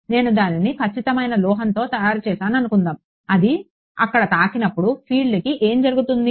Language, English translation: Telugu, Supposing I made it out of perfect metal so, what will happen to a field when it hits there